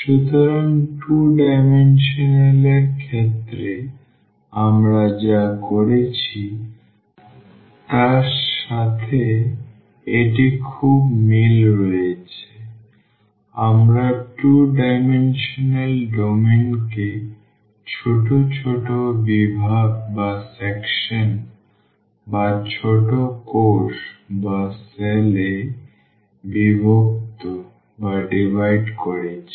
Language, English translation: Bengali, So, it is very similar to what we have done in case of 2 dimensional; we have divided the domain the 2 dimensional domain into a small sections, small cells